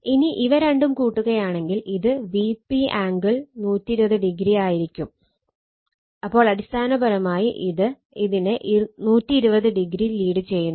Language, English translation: Malayalam, If you add these two, it will be V p angle 120 degree; so, basically leading this one by 120 degree right